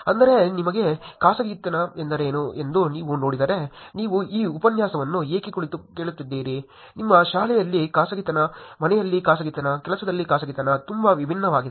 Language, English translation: Kannada, I mean, if you were to look at what privacy is for you, why are you sitting and listening to this lecture, versus privacy in your school, privacy at home, privacy at work is very different